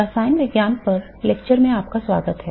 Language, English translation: Hindi, Welcome to the lectures on chemistry